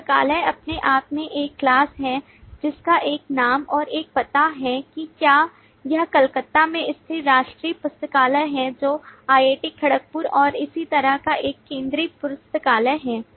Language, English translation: Hindi, The library itself is a class which has a name and an address, whether it is the national library situated at Calcutta, which is a central library of IIT Kharagpur, and so on